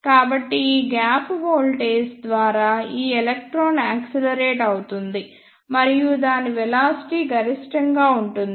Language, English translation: Telugu, So, because of this negative gap voltage, this electron will be decelerated and its velocity will be minimum